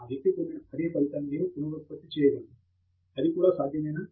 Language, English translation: Telugu, How can I reproduce the same result that this person has, is it even possible